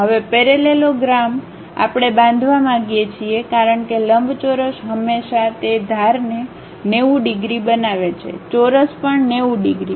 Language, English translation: Gujarati, Now, parallelogram we would like to construct because rectangles always make those edges 90 degrees, squares also 90 degrees